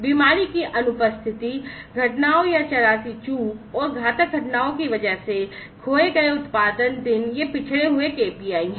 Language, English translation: Hindi, Production days lost due to sickness absence, incidents or near misses, and number of fatalities, these are the lagging KPIs